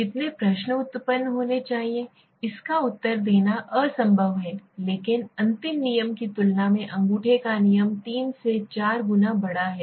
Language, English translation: Hindi, How many question should be generated, this is impossible to answer but the thumb rule says 3 to 4 times larger than the final scale